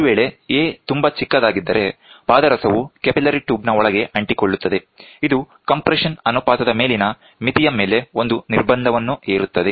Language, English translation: Kannada, If a is made too small, the mercury tends to stick inside the capillary tube; this imposes a restriction on the upper limit of the compression ratio